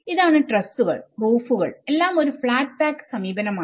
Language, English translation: Malayalam, So, here the trusses, the roofs everything is a flat pack approach